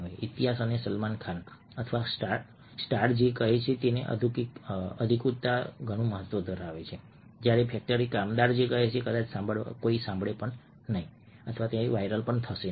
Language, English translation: Gujarati, history and authenticity what salman khan or stars say will carry a lot of weightage, whereas a factory worker saying the same thing will not probably get heard or it will not go viral